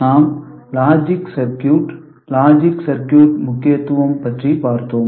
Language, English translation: Tamil, So, we looked at logic circuits, important logic circuits